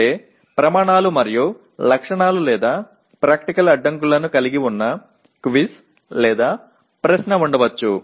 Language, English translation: Telugu, That means there could be a quiz or a question that involves Criteria and Specifications or Practical Constraints